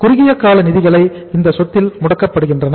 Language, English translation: Tamil, Short term funds are blocked in this asset